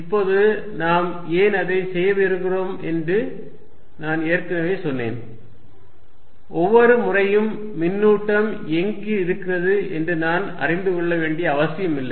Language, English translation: Tamil, Now, I already said why do we want to do that is, that not necessarily every time I will be knowing what the charge is somewhere